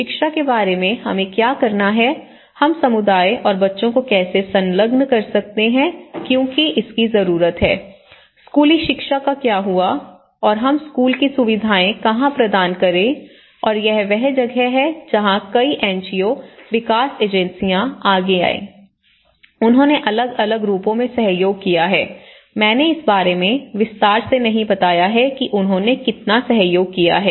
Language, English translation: Hindi, So, how about education, you know what to do, how we can engage the community and the children because you know that is also needed, what happens to the school education and where do we provide the school facilities and this is where many NGOs have came forward, many development agencies have came, they collaborated in different forms as I am not going in detail about how differently they have collaborated